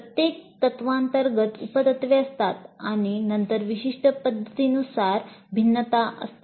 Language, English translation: Marathi, Because under each principle there are sub principles and then there are variations based on the specific situations